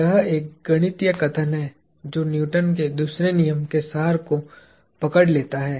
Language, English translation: Hindi, This is a mathematical statement that captures the essence of Newton’s second law